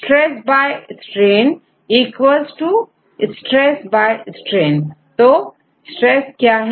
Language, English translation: Hindi, Stress by strain right equal to stress by strain right what is stress